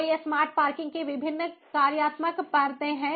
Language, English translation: Hindi, so these are the different functional layers of smart parking in terms of information collection